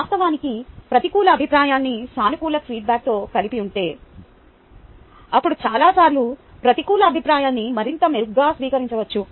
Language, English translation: Telugu, in fact, if the negative feedback is accompanied by a positive feedback, then many times the negative feedback may be received much better